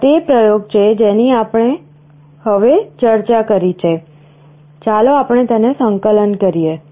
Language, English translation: Gujarati, This is the experiment that we have discussed now, let us compile it